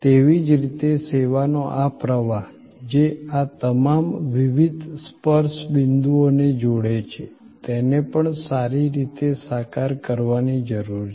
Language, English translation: Gujarati, Similarly, this flow of service, which links all these different touch points, also needs to be well visualized